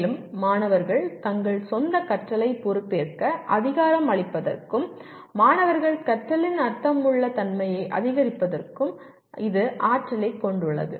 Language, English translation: Tamil, And also it has the potential to empower students to take charge of their own learning and to increase the meaningfulness of students learning